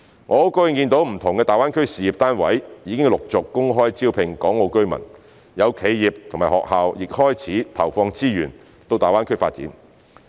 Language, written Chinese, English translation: Cantonese, 我很高興見到不同的大灣區事業單位已陸續公開招聘港澳居民，有企業及學校亦開始投放資源到大灣區發展。, I am so glad to see successive open recruitment of Hong Kong and Macao residents by different public institutions in GBA . Some enterprises and schools also start putting resources in the GBA development